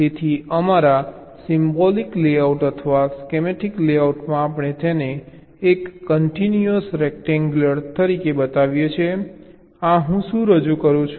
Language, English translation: Gujarati, ok, so in our symbolic layout or schematic layout we show it like this: a continuous rectangle